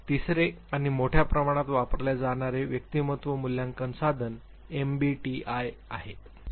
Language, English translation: Marathi, The third and extensively used personality assessment tool is MBTI